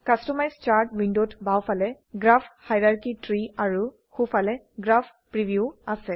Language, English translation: Assamese, Customize Chart window has, Graph hierarchy tree on the left and Graph preview on the right